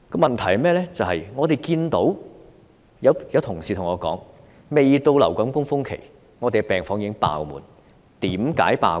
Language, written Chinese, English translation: Cantonese, 問題是，有同事對我說，未到流感高峰期，病房已爆滿，為甚麼？, The thing is some colleagues have told me that the influenza surge has not yet peaked but the ward is already full . Why?